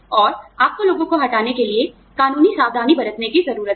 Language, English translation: Hindi, And, you need to take legal precautions, for laying people off